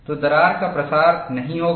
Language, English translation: Hindi, So, crack will not propagate